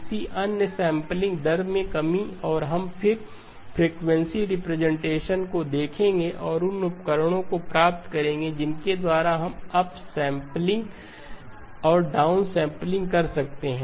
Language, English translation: Hindi, The corresponding, the other, the reduction in the sampling rate and we will then look at the frequency representation and derive the tools by which we can do upsampling and downsampling